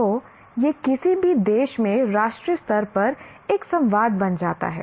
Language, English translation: Hindi, So, this becomes a kind of a national level dialogue in any country